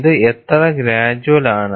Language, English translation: Malayalam, How gradual it is